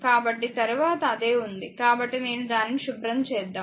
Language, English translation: Telugu, So, same thing is there next; so, let me clean it